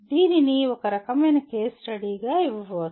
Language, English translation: Telugu, This can be given as some kind of case study